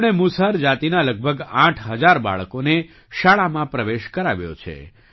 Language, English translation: Gujarati, He has enrolled about 8 thousand children of Musahar caste in school